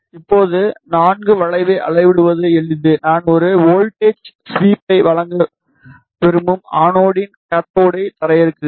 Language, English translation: Tamil, Now, simple to measure the IV curve I will ground the cathode at the anode I want to provide a voltage sweep